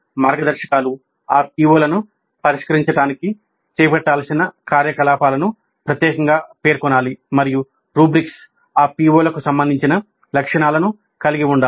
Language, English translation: Telugu, The guidelines must specifically mention the activities to be carried out in order to address those POs and the rubrics must have attributes related to those POs